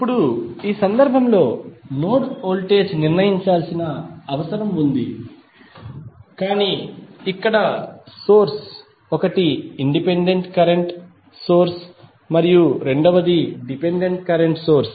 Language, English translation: Telugu, Now, let us take one another example in this case the node voltage needs to be determine but here the source is one is independent current source and second is the dependent current source